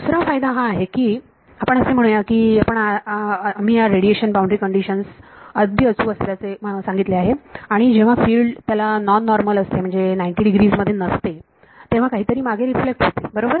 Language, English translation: Marathi, The other advantage is this let us say that you we have we have spoken about this radiation boundary condition being inexact correct and its inexact when the field that is hitting it is non normal not coming at 90 degrees then something reflects back correct